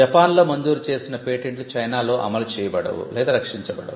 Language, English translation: Telugu, Patents granted in Japan cannot be enforced or protected in China